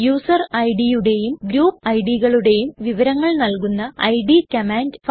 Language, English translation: Malayalam, id command to know the information about user ids and group ids